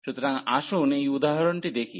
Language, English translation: Bengali, So, let us go to the example here